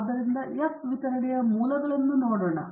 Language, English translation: Kannada, Now, let us look at the F distribution